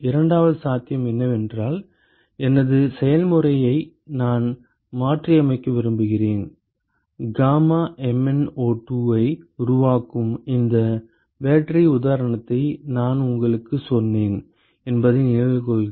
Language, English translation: Tamil, The second possibility is suppose I want to modify my process, remember I told you this battery example where they make gamma MnO2